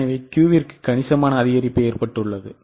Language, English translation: Tamil, So, substantial increase has happened for Q